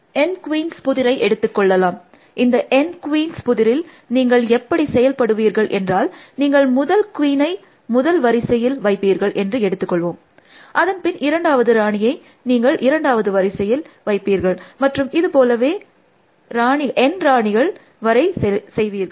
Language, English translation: Tamil, So, let us take the N queens problem, in the N queens problem, let say that the way that you will proceed is, you will place the first queen, let say in the first row, then the second queen in the second row and so on, up to the n th queen essentially